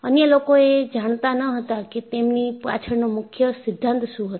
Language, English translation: Gujarati, Others were not knowing, what are the principles behind it